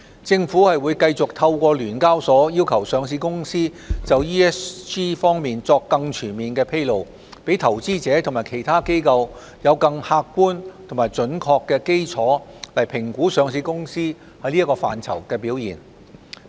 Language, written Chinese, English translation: Cantonese, 政府會繼續透過聯交所要求上市公司就 ESG 方面作更全面披露，讓投資者及其他機構有更客觀及準確的基礎評估上市公司在此範疇的表現。, The Government will continue to require listed companies to make more comprehensive disclosures in ESG aspects through the requirements as imposed by SEHK to allow investors and other institutions to have a more objective and accurate basis to assess the performance of listed companies in these aspects